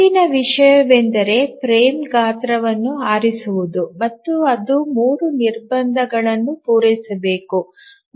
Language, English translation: Kannada, Now the next thing is to select the frame size and we have to see that it satisfies three constraints